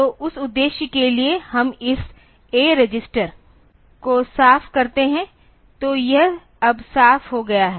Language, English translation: Hindi, So, for that purpose we clear this A register; so, that it is cleared now